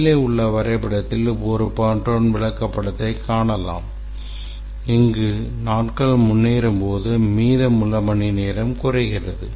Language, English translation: Tamil, This is a burn down chart and as the days progression the hours remaining comes down